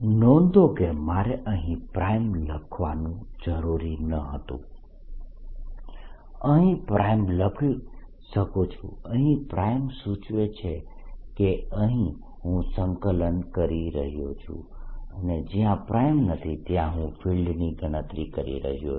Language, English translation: Gujarati, notice that i did not have to write prime out here, but if you like i can write prime here, prime here denoting that prime is actually where i am integrating and prime here and no unprimed variables are those where i am calculating